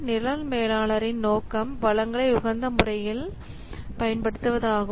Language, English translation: Tamil, The objective of program manager is to optimize to optimal use of the resources